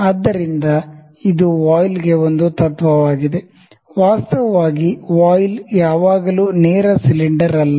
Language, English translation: Kannada, So, this is a principle for a voile, actually the voile is not always is not a straight cylinder